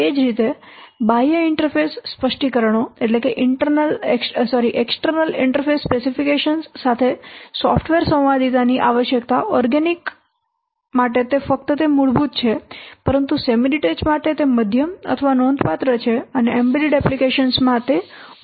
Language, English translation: Gujarati, Similarly, need for software conformance with external interface specifications in organics just it is basic but semi detachment is moderate or considerable and in embedded applications it is full